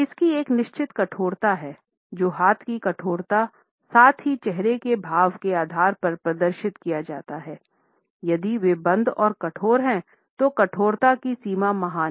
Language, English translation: Hindi, It does have a certain rigidity; however, the extent of rigidity is displayed on the basis of the rigidity of arms, as well as the facial expressions; if they are closed and rigid then the extent of rigidity is great